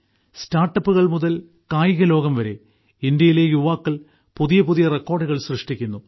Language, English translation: Malayalam, From StartUps to the Sports World, the youth of India are making new records